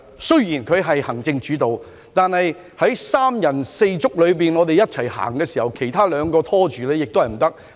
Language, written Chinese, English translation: Cantonese, 雖然香港實行行政主導，但當三人六足一起走時，其他二人如有所拖延便不行了。, Although Hong Kong adopts the executive - led system it will not be alright if two of the three people in a four - legged race put up hindrance